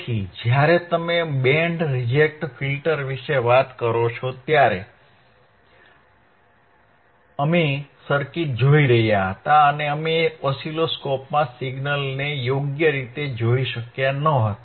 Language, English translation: Gujarati, So, when you talk about band reject filter, right we were looking at the circuit and we were not able to see the signal in the oscilloscope right